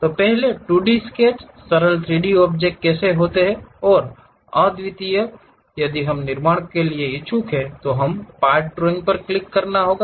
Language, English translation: Hindi, So, first 2D sketches may be simple 3D objects which are one unique objects if we are interested to construct, we have to click part drawing